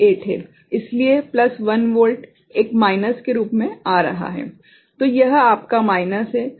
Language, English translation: Hindi, So, plus 1 volt is coming as a minus; so, this is your minus